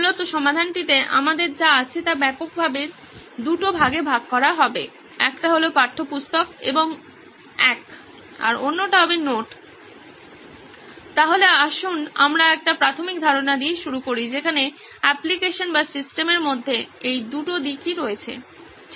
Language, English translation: Bengali, Essentially what we have in the solution would broadly be classified into two, one is the textbook and 1, the other would be the notes, so let us start with a basic homepage where we have these 2 aspects in the application or the system right